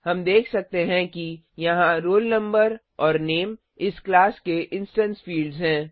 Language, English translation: Hindi, We can see that here roll no and name are the instance fields of this class